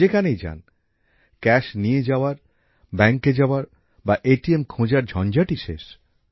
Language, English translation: Bengali, Wherever you go… carrying cash, going to the bank, finding an ATM… the hassle is now over